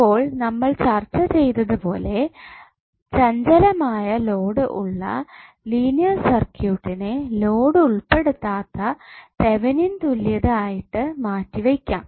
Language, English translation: Malayalam, Now as we have discussed that linear circuit with variable load can be replaced by Thevenin equivalent excluding the load